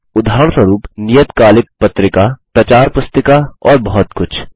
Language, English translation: Hindi, For example a periodical, a pamphlet and many more